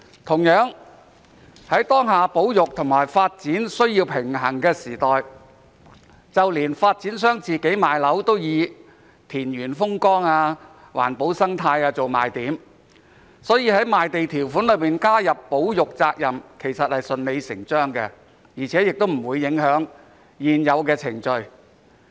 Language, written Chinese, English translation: Cantonese, 同樣地，在當下保育和發展需要平衡的時代，連發展商賣樓都以田園風光、環保生態做賣點，所以在賣地條款加入保育責任也是順理成章的，而且不會影響現有的程序。, Similarly in the present era where a balance needs to be struck between conservation and development even developers use farmland scenery environmental protection and ecology as the selling points when selling their flats so it is logical to add the requirement for developers to undertake conservation responsibilities in the land sale conditions which will not affect the existing procedures